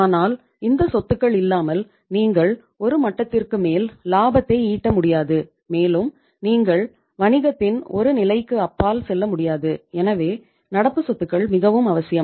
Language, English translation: Tamil, But without these assets you cannot generate more than a level of profits and you cannot go beyond a level of the business so we are bound to have the current assets